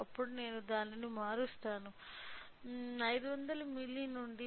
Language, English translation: Telugu, Then I will change it to 500 milli